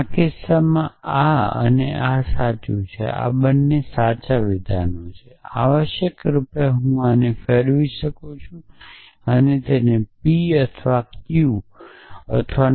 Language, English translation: Gujarati, So, in which case this this and this true and true and both are true essentially I can shuffle this and write it as not p or q or not q or p